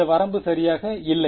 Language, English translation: Tamil, This limit does not exist right